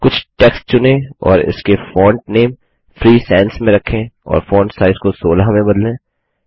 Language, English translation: Hindi, Select some text and change its font name to Free Sans and the font size to 16